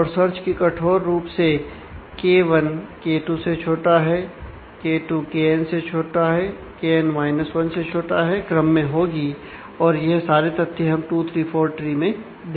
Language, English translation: Hindi, And the search keys are strictly ordered K 1 < K 2 < K n 1 these are facts that we have seen for 2 3 4 tree